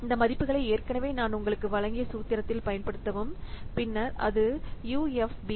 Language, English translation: Tamil, So, use these values in the given formula that I already have given you and then it will give you this values of UFP